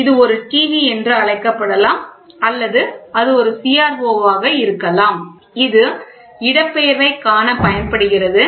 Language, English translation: Tamil, So, this is a; it can be called as a TV or it can be a CRO which is used to see the displacement